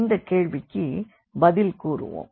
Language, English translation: Tamil, So, we will answer these questions here